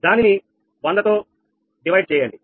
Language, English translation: Telugu, so it is divided by hundred